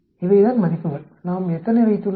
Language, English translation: Tamil, These are the values; we are having how many